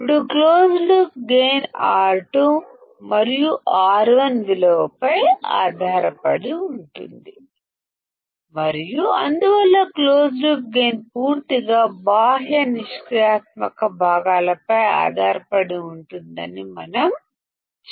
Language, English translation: Telugu, Now closed loop gain depends on the value of R 2 and R 1 and that is why we can say that the close loop gain depends entirely on external passive components